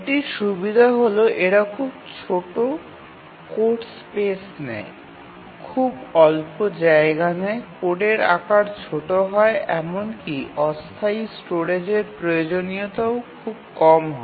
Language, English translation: Bengali, So, the advantage of these are these take very small code space, very little storage, the code size is small and even the temporary storage requirement is very small